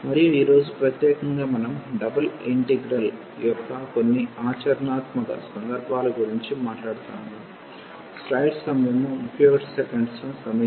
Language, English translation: Telugu, And today in particular we will be talking about some applications of double integral